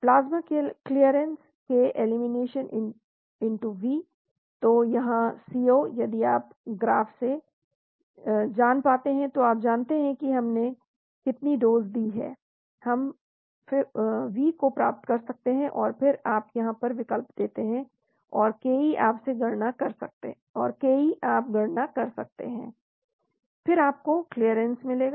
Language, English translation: Hindi, Plasma clearance=K elimination*V, so from here C0 if you know from the graph, you know how much dose we have given we can get V and then you substitute here, and Ke you can calculate from the slope, then you get clearance